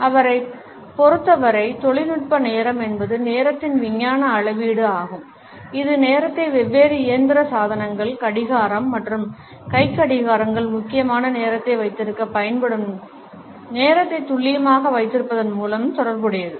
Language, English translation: Tamil, Technical time according to him is the scientific measurement of time which is associated with the precision of keeping the time the way different mechanical devices for example, clock and watches primarily are used to keep time